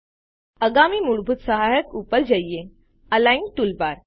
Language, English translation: Gujarati, Let us move on to the next basic aid Align toolbar